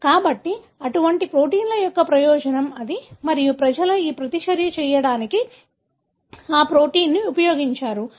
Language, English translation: Telugu, So, that’s the advantage of such kind of proteins and people have used that protein to do this reaction